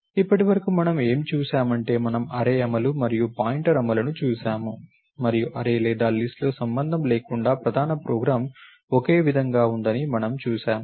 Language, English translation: Telugu, Now, so for what we have seen, we saw the array implementation and pointer implementation and we saw that the main program is the same irrespective of array or list